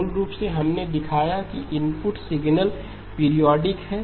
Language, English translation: Hindi, Basically, we have shown that the input signal is periodic